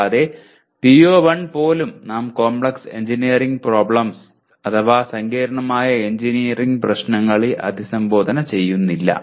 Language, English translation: Malayalam, And on top of that even in PO1 we are not addressing Complex Engineering Problems